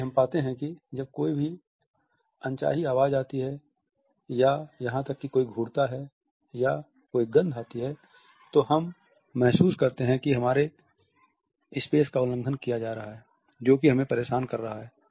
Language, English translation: Hindi, So, we find that whenever there is an unwelcome sound or even a stare or a scent we find that we are being violated in a space which is accursing to us